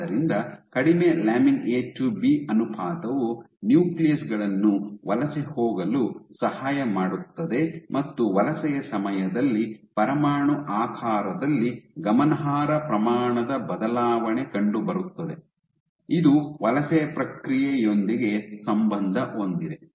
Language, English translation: Kannada, So, this shows that having low lamin A to B ratio actually helps the nuclei to migrate and during the migration there is significant amount of change in nuclear shape, which correlates with the migration process ok